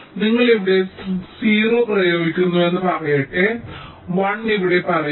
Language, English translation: Malayalam, right, let say you are applying zero here